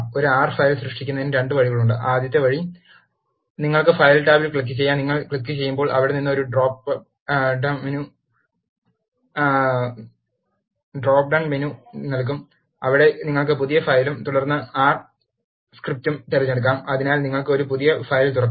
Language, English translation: Malayalam, To create an R file, there are 2 ways: The first way is: you can click on the file tab, from there when you when you click it will give a drop down menu, where you can select new file and then R script, so that, you will get a new file open